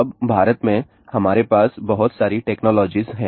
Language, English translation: Hindi, Now in India, we have too many technologies